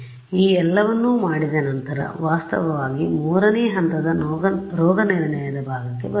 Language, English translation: Kannada, So, that is actually brings us to step 3 the diagnosis part